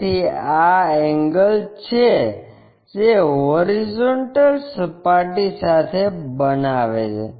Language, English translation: Gujarati, So, this is the angle which is making with that horizontal plane